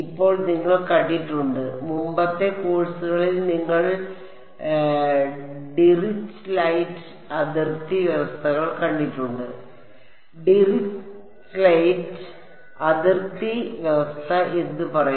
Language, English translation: Malayalam, Now you have seen so, far in previous courses you have seen Dirichlet boundary conditions what would Dirichlet boundary condition say